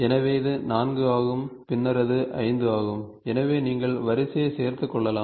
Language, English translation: Tamil, So, this is 4 and then it is 5, so you can keep on adding the sequence